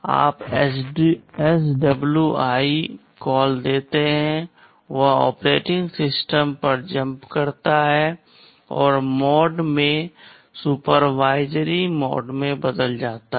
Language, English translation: Hindi, You give SWI call, it jumps to the OS and also the mode changes to supervisory mode